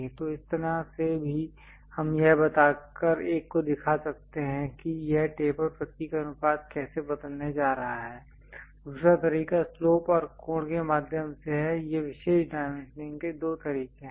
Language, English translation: Hindi, So, that way also we can really show it one by giving how this taper symbol ratio is going to change, the other way is through slope and angle these are two ways of special dimensioning